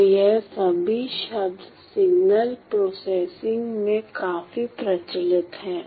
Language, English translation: Hindi, So, all these terms are quite prevalent in signal processing